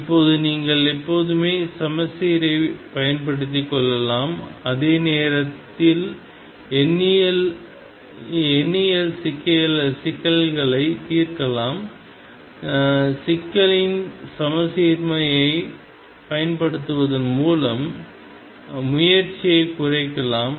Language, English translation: Tamil, Now, you can always make use of the symmetry while solving problems numerically you can reduce the effort by making use of symmetry of the problem